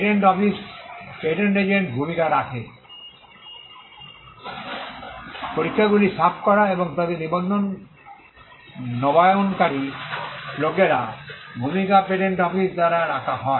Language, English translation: Bengali, There are patent office keeps a role of the patent agent; people who have cleared the exam and who renew their registration; the role is kept at by the patent office